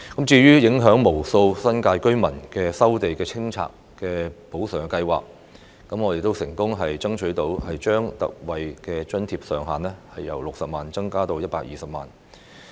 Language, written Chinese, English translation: Cantonese, 至於影響無數新界居民的收地清拆補償安排，我們亦成功爭取將特惠補償上限由60萬元增至120萬元。, As to the compensation arrangements for land resumption and clearance affecting countless New Territories residents we have also been successful in getting a lift of the cap on the ex - gratia compensation from 600,000 to 1.2 million